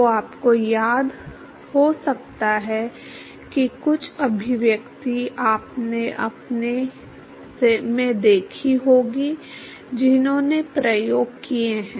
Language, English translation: Hindi, So, you may recall that some of the expression you may have seen in your; those who have done the experiments